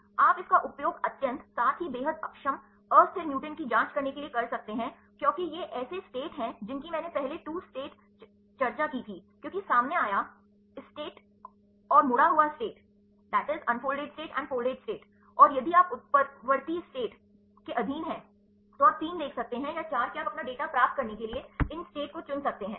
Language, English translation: Hindi, You can use this in absence to check the extremely stabled, as well as extremely a destable mutants these are states as I discussed earlier 2 state means because, the unfolded state and the folded state and if you under mutant states, then you can see 3 or 4 that you can choose these a any states to get your data